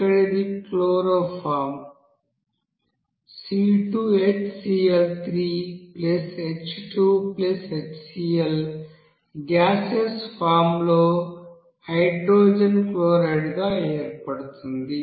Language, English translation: Telugu, Here it will be forming as chloroform C2HCl3 and plus H2 and then hydrogen chloride in gaseous form